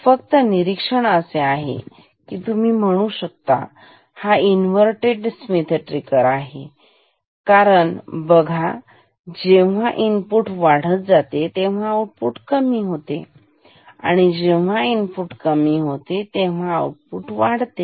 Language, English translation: Marathi, The only observation is that it is a inverted Schmitt trigger you can call, because when you see input increases output decreases and here input decreases output increases